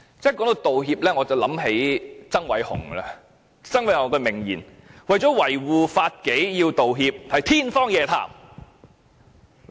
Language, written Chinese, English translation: Cantonese, 說到道歉，我便想起曾偉雄，他有一句名言，說警察如果為了維護法紀而要道歉，是天方夜譚。, Talking about apologies reminds me of Andy TSANG . One of his oft - quoted lines is that it would be a fantasy tale if the Police should apologize for maintaining law and order